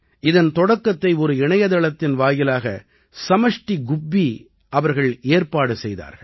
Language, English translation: Tamil, It has been started by Samashti Gubbi ji through a website